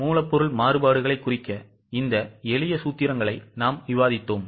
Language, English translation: Tamil, Then we had discussed these simple formulas to break down the material variances into its causes